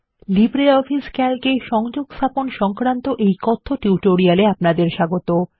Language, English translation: Bengali, Welcome to the Spoken tutorial on Linking in Calc in LibreOffice Calc